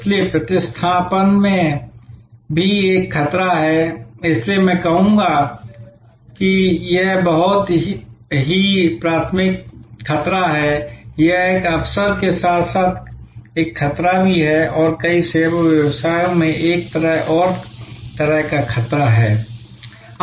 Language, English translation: Hindi, So, substitution is also a threat, so I would say this is a very primary threat, this is an opportunity as well as a threat and this is another kind of threat in many service businesses